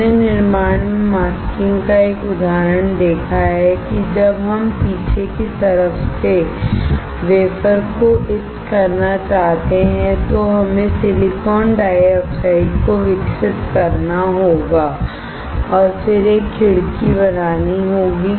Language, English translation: Hindi, We have seen an example of masking in the fabrication that when we want to etch the wafer from the backside, we have to we have grown silicon dioxide and then have created a window